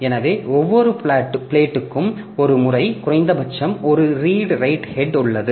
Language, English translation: Tamil, So, for each plate there is a, there is at least one redrite head